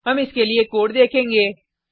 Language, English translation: Hindi, We will see the code for this